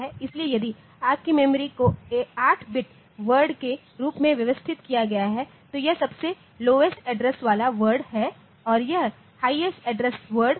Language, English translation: Hindi, So, if your memory is organised as 8 bit word then this is the this is the lowest address word and this is the highest address words